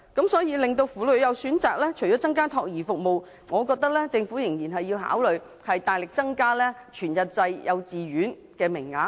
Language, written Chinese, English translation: Cantonese, 因此，要讓婦女有選擇，除了增加託兒服務外，我覺得政府仍然要考慮大力增加全日制幼稚園名額。, So apart from increasing child care services I believe the Government should also consider substantially increasing full - day kindergarten places in order to give women choices